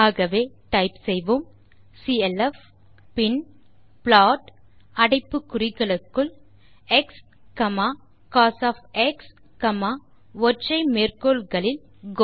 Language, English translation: Tamil, So ,type clf() then type plot within brackets x,cos, within single quotes go